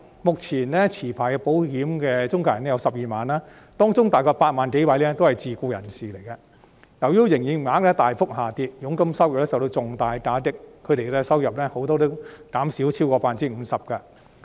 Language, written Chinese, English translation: Cantonese, 目前持牌的保險中介人有12萬名，當中大約8萬多名是自僱人士，由於營業額大幅下跌，佣金收入受到重大打擊，不少人的收入減少超過 50%。, There are currently some 120 000 licensed insurance intermediaries and some 80 000 of them are self - employed persons . A big drop in sales has dealt a heavy blow to their commission income and most of them have their income cut by over 50 %